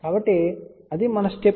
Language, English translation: Telugu, So, that is our step